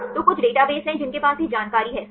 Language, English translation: Hindi, So, there are some databases which have this information right